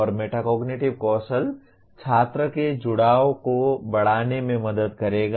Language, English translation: Hindi, And the metacognitive skill will help in increasing the student engagement